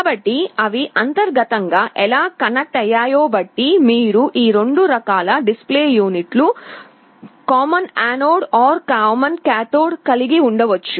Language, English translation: Telugu, So, depending on how they are connected internally, you can have 2 different kinds of display units, common anode or common cathode